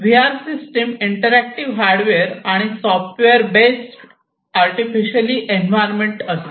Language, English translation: Marathi, So, VR is a mixture of interactive hardware and software based artificial environment, right